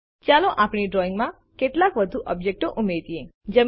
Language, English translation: Gujarati, Lets add some more objects to our drawing